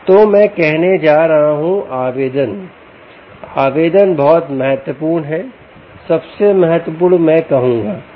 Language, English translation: Hindi, so i am going to say application, application is very critical, most critical, i would say